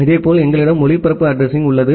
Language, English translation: Tamil, Similarly, we have a broadcast address